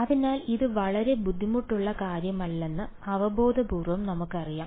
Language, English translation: Malayalam, So, intuitively we know that this is not going to be very difficult ok